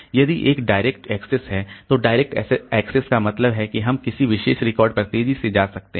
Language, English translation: Hindi, So, direct access means that we can go to a particular record rapidly